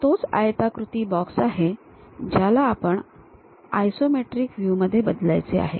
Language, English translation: Marathi, This is the rectangular box, what we would like to really change it into isometric views